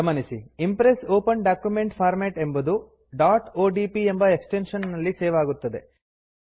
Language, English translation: Kannada, Note that the Impress Open Document Format will be saved with the extension .odp